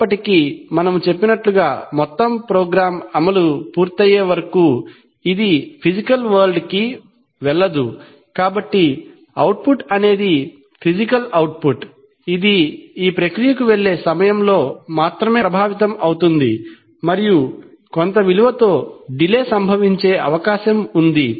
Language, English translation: Telugu, However, it does not go to the physical world till the whole program execution has completed as we have said, so therefore the output, the physical output which goes to the process gets affected only at that time and there is a, this is the amount of delay that is bound to occur